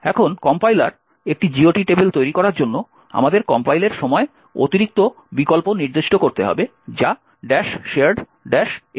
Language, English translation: Bengali, Now, in order that the compiler generates a GOT table, we need to specify additional option at compile time which is minus shared minus fpic